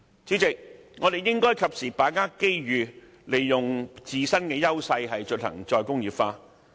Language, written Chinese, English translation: Cantonese, 主席，我們應該把握機遇，利用自身的優勢進行"再工業化"。, President we should seize this opportunity and make good use of our strengths to carry out re - industrialization